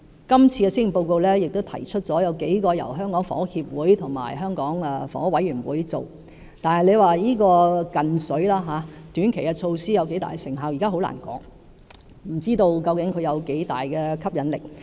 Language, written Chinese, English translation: Cantonese, 今次的施政報告也提出了數項由香港房屋協會和香港房屋委員會推出的措施，但這"近水"的短期措施有多大成效，現時很難說，不知道究竟有多大的吸引力。, The Policy Address this year presents a number of measures to be introduced by the Hong Kong Housing Society HKHS and the Hong Kong Housing Authority HKHA . However it is difficult to tell how effective this ready solution―the short - term measure―will be and it is also uncertain how attractive it will be